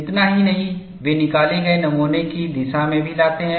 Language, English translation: Hindi, Not only this, they also bring in the direction of the specimen that is taken up